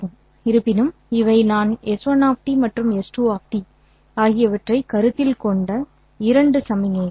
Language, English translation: Tamil, However, these are the two signals that I am considering S1 of T and S2 of T